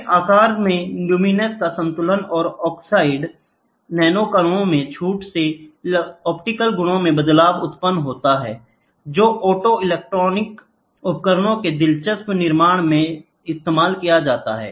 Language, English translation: Hindi, Then size induced control of luminescence and relaxation in oxide nanoparticles lead to a change in the optical properties; which can be used in the fabricating interesting of optoelectronic devices